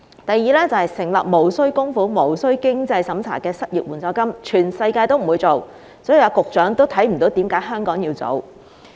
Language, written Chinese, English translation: Cantonese, 第二，成立無須供款無須經濟審查的失業援助金，全世界不會做，局長亦看不到為甚麼香港要做。, Second no other places in the world will introduce any non - contributory and non - means - tested unemployment assistance and the Secretary does not see why Hong Kong needs to do it